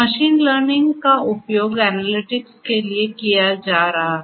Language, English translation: Hindi, Machine learning being used for analytics